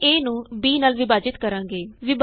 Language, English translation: Punjabi, We divide a by b